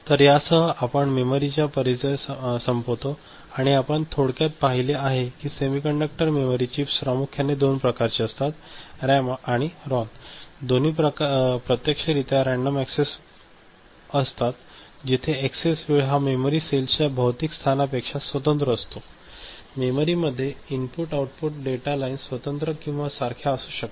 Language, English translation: Marathi, So, with this we conclude the introduction to memory and what we have seen very briefly that semiconductor memory chips are primarily of two types, RAM and ROM both are actually random access, where the access time is independent of physical location of the memory cells and input output data lines to memory can be separate or common, ok